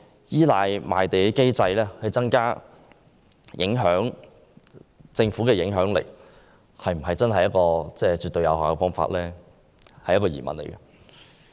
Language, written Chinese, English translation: Cantonese, 依賴賣地機制來增加政府的影響力是否一個絕對有效的方法，令人質疑。, It is doubtful whether the reliance on a land sale mechanism to increase the Governments influence is absolutely effective